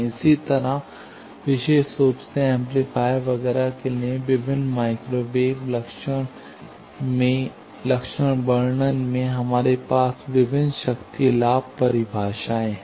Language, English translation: Hindi, Similarly, in various microwave characterization, particularly for amplifiers, etcetera, we have various power gain definitions